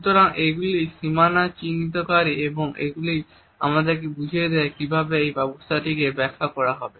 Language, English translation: Bengali, So, these are the boundary markers and they enable us to understand how a system is to be interpreted